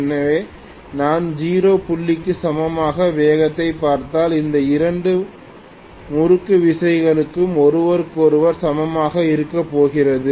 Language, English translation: Tamil, So, if I look at speed equal to 0 point, I am going to have both these torque exactly being equal to each other